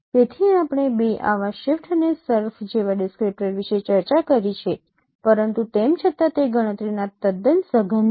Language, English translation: Gujarati, So we discussed about two such descriptors like shift and surf but still they are computationally quite intensive